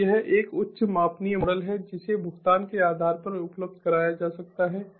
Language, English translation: Hindi, so it is a highly scalable model that can be made available on a payment basis